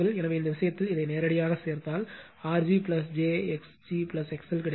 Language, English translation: Tamil, So, in that case you directly add this one, you will get R g plus j x g plus X L